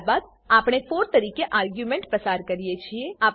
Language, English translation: Gujarati, Then we pass an argument as 4